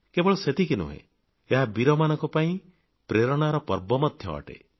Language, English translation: Odia, And not just that, it is a celebration of inspiration for brave hearts